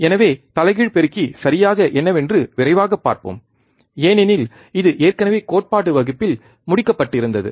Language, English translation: Tamil, So, let us quickly see what exactly the inverting amplifier is, since it was already covered in the theory class